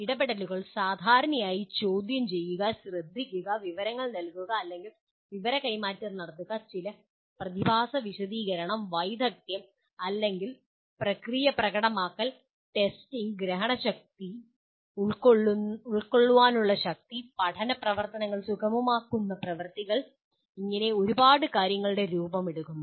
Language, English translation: Malayalam, The interventions commonly take the form of questioning, listening, giving information or what we call transferring information and explaining some phenomenon, demonstrating a skill or a process, testing, understanding and capacity and facilitating learning activities such as, there is a whole bunch of them